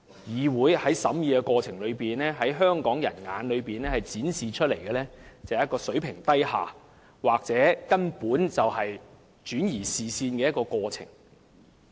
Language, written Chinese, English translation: Cantonese, 議會的審議工作，在香港人眼中展示出來的是一個水平低下或根本是轉移視線的過程。, In the eyes of Hong Kong people this is a reflection of the second - rate deliberation work of the Legislative Council with every attempt to distract the publics attention